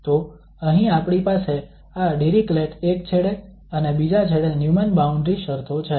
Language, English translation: Gujarati, So here we have these Dirichlet at one end and the Neumann boundary conditions at other end